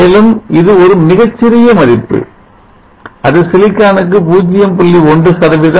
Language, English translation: Tamil, And this is very small value it is around 0